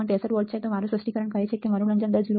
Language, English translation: Gujarati, 63 volts per microsecond, but my specification says that my slew rate should be 0